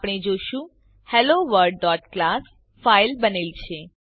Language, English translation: Gujarati, We can see HelloWorld.class file created